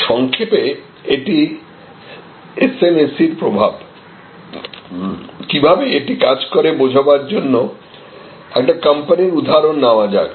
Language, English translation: Bengali, This in short is actually the impact of this SMAC and how it will operate, let us take an example of a company